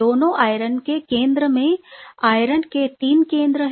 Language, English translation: Hindi, Both the iron center are having 3 iron center